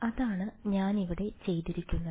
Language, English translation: Malayalam, That is what I have done over here